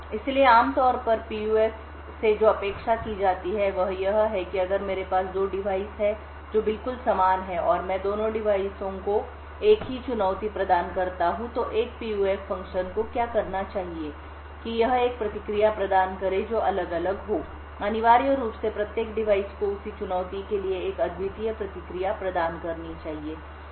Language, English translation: Hindi, So, typically what is expected of a PUF is that if I have two devices which are exactly identical and I provide the same challenge to both the devices, then what a PUF function should do is that it should provide a response which is different, essentially each device should provide a unique response for the same challenge